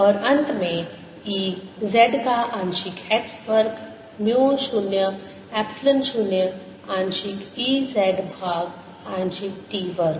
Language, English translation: Hindi, and finally, partial of e, z, partial x square is equal to mu zero, epsilon zero, partial e z over partial t square